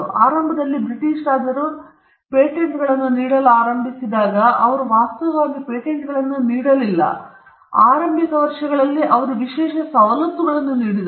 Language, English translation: Kannada, Initially, the British kings when they started granting patents, and they did not actually grant patents, in the initial years they granted exclusive privileges